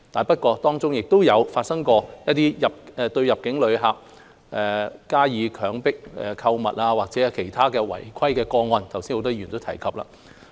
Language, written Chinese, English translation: Cantonese, 不過，當中亦有發生過入境旅客遭強迫購物的事故，或者其他違規個案，剛才很多議員都有提及。, However there have been incidents of inbound visitors being coerced into shopping or other cases of contravention which many Members have mentioned earlier